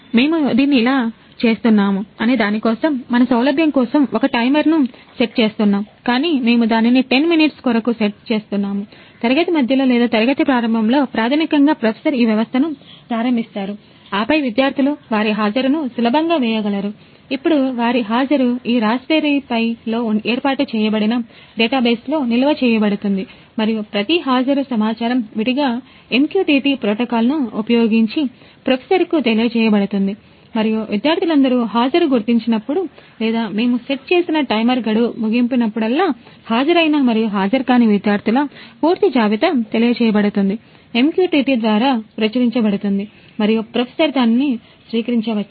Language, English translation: Telugu, And now their attendance will be stored in database that is set up in this Raspberry Pi and each attendance will separately be notified to professor on using MQTT protocol and also whenever the all the students have marked attendance or the timer that we have set is expired the complete list of students those who are present and those who are absent will be notified, will be published to the; published over MQTT and professor can receive it